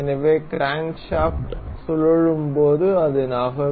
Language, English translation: Tamil, So, so that it can move as it as the crankshaft rotates